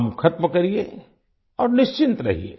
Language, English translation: Hindi, Finish your work and be at ease